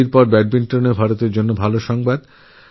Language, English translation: Bengali, After hockey, good news for India also came in badminton